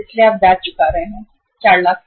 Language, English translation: Hindi, So you are paying the interest on the 4 lakhs